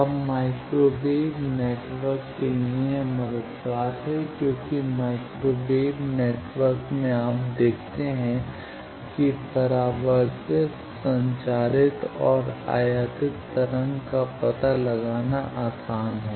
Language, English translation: Hindi, Now, for microwave networks this is helpful because in microwave networks you see that it is easier to find out the reflected transmitted and incident waves